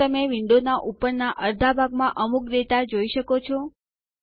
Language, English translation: Gujarati, Can you see some data in the upper half of the window